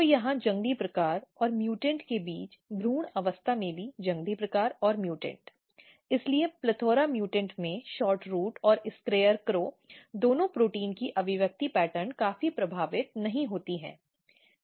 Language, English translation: Hindi, So, in the embryo stage between wild type and mutant here also wild type and mutant, so the expression pattern of both SHORTROOT and SCARECROW protein is not significantly affected in plethora mutants